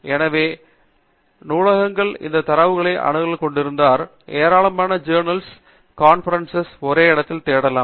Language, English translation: Tamil, So, if our libraries have access to these databases, then we can have an ability to search a large number of articles and conference proceedings in one place